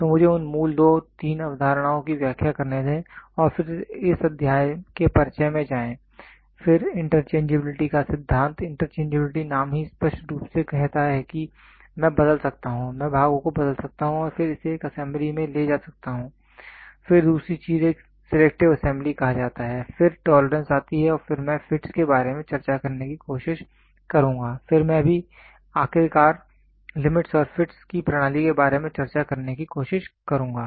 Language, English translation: Hindi, So, let me explain those basic 2 3 concepts and then get into introduction for this chapter then principle of interchangeability, interchangeability the name itself clearly says I can change, I can interchange parts and then take it to an assembly, then other thing is called a selective assembly then comes tolerance then I will try to discuss about fits, then I will also finally, try to discuss about system of limits and fits